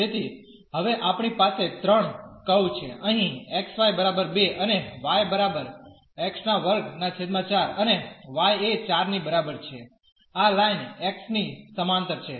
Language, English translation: Gujarati, So, now, we have 3 curves here x y is equal to 2 and y is equal to x square by 4 and y is equal to 4 this line parallel to the x axis